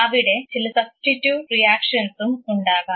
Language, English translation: Malayalam, There could be some substitute reactions